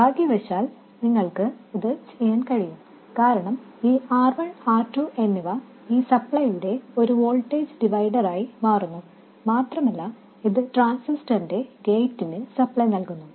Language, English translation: Malayalam, And fortunately you can do that because the R1 and R2 forms a voltage divider for this supply and it supplies the gate of the transistor